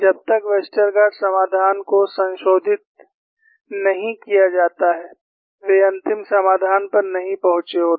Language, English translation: Hindi, Unless Westergaard solution is modified, they would not have arrived at the final solution